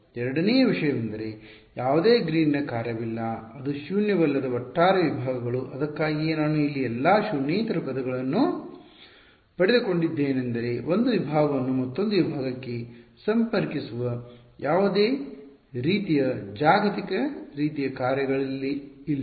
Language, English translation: Kannada, The second thing there is no Green’s function which is non zero overall segments that was it that was the reason why I got all non zero terms here there is no global kind of a function that is connecting 1 segment to another segment